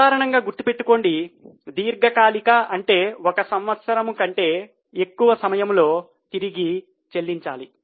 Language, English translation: Telugu, Always keep in mind that long term means one which is repayable for more than one year